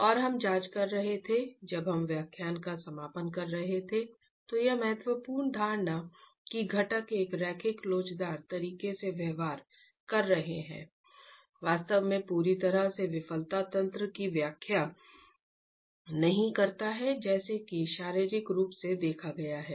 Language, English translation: Hindi, And we were examining as we are concluding the lecture how this important assumption that the constituents are behaving in a linear elastic manner actually does not explain completely the failure mechanism as physically observed